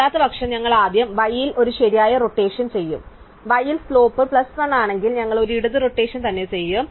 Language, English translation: Malayalam, Otherwise, we will first do a right rotation at y, in case is slope at y is plus 1 and then we will do a left rotation at x